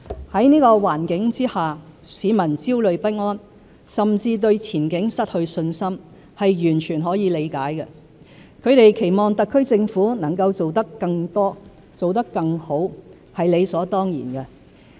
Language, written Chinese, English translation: Cantonese, 在這個環境下，市民焦慮不安，甚至對前景失去信心，是完全可以理解的；他們期望特區政府能做得更多、更好，是理所當然的。, Under such circumstances the worries and anxieties of the people and their loss of confidence in the future are entirely understandable . Naturally they will expect the HKSAR Government to do more and to do better